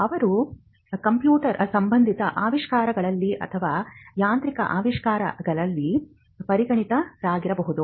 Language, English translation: Kannada, Or they could be specialized in computer related inventions or in mechanical inventions